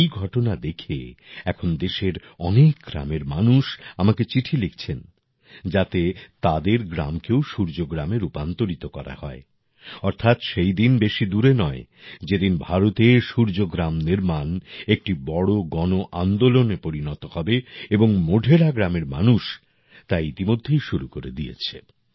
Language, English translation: Bengali, Seeing this happen, now people of many villages of the country are writing letters to me stating that their village should also be converted into Surya Gram, that is, the day is not far when the construction of Suryagrams in India will become a big mass movement and the people of Modhera village have already begun that